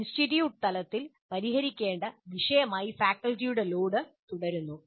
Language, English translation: Malayalam, Load on the faculty remains an issue to be resolved at the institute level